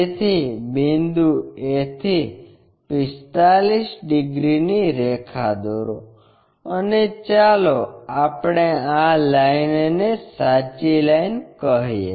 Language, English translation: Gujarati, So, from point a draw a line of 45 degrees, this one 45 degrees and let us call this line as true line